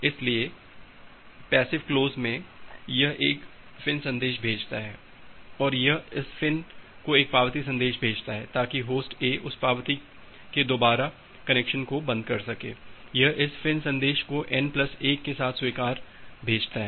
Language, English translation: Hindi, So, in the passive close, it sends a FIN message, it sends an acknowledgement message to this fin, so that Host A can close the connection in that acknowledgement it acknowledges this FIN message with n plus 1